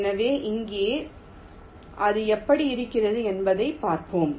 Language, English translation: Tamil, so let see that how it looks like here, the same example i am showing here